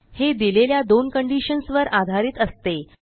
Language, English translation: Marathi, These are based on the two given conditions